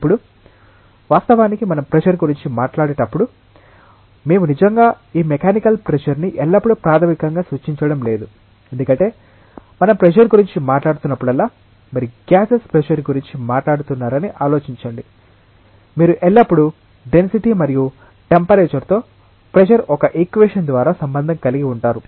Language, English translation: Telugu, Now, when we talk about pressure actually, we are not really referring to this mechanical pressure always fundamentally, because whenever we are talk about pressure think about say you are talking about pressure for gases you always relate pressure with density and temperature through a equation of state